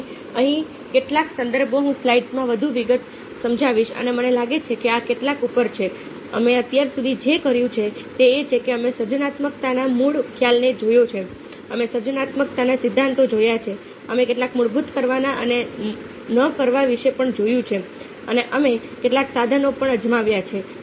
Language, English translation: Gujarati, i will be sharing some more in the slides and i have a feeling that this, to some up a, what you have done so far is that we have looked at the basic concept of creativity, we have looked at theories of creativity, we have also looked at some of the basic do and don'ts and we have also tried out